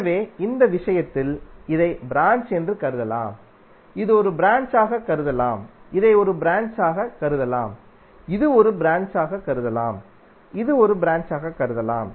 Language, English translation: Tamil, So in this case this can be consider as branch, this can be consider as a branch, this can be consider as a branch this can also be consider as a branch and this can also be consider as a branch